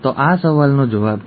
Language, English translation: Gujarati, So that is the answer to the question